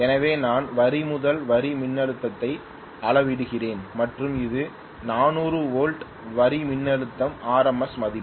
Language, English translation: Tamil, So I am measuring may be line to line voltage and this is 400 volts, line voltage RMS value